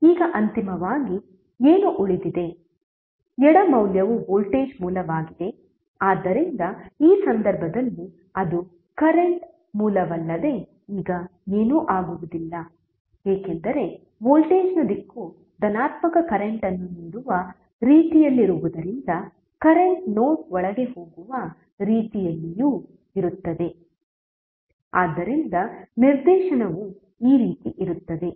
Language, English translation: Kannada, Now finally what is left, the left value is the voltage source, so in this case it will be nothing but the current source now what would be the direction because direction of voltage is in such a way that it is giving positive current so the current will also be in such a way that it is going inside the node, so the direction would be like this